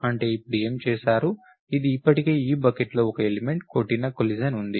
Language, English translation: Telugu, That means, now what done, it is already an element in this bucket, therefore there is a collision